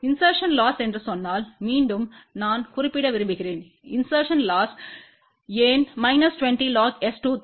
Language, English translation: Tamil, Again I want to mention if we say insertion loss insertion loss is minus 20 log of 23 why